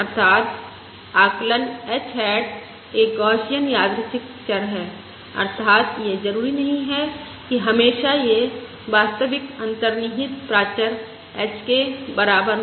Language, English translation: Hindi, h hat is a Gaussian, random variable, that is, it is not necessarily always equal to the true underlying parameter h